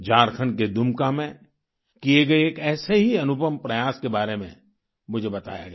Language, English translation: Hindi, I was informed of a similar novel initiative being carried out in Dumka, Jharkhand